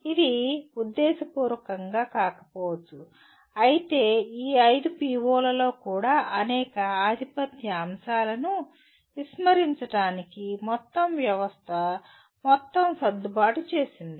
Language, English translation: Telugu, It might not be intentional but it somehow over the period the entire system has adjusted itself to kind of ignore many dominant elements of even these 5 POs